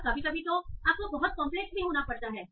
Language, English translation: Hindi, And sometimes they may be very, very complex also